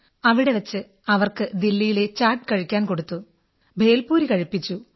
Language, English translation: Malayalam, There we treated them to Delhi's snack 'Chaat' & also the Bhelpuri